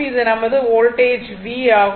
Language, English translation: Tamil, And this is my voltage V